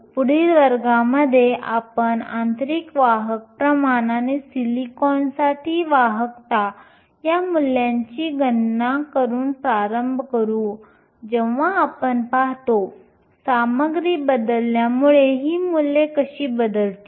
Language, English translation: Marathi, In the next class, we will start by calculating these values for the intrinsic carrier concentration and the conductivity for silicon, when we look at, how changing the material will change these values